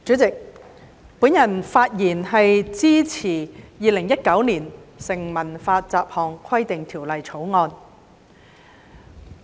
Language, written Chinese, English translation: Cantonese, 主席，我發言支持《2019年成文法條例草案》。, President I speak in support of the Statute Law Bill 2019 the Bill